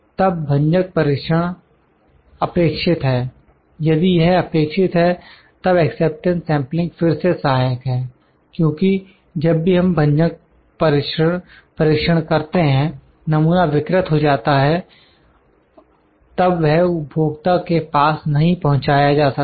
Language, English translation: Hindi, Then the destructive testing is required, if it is required, then acceptance sampling is again helpful because, whenever we do destructive testing the sample would be then deteriorated then it cannot be passed to the customer